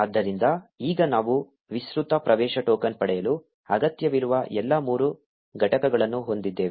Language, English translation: Kannada, So, now we have all the three components that are needed to get an extended access token